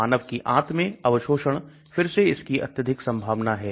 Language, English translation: Hindi, Human intestinal absorption again it has got very high probability